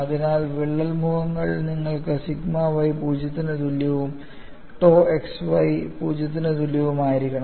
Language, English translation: Malayalam, So on the crack phases, you need to have sigma y is equal to 0 and tau xy equal to 0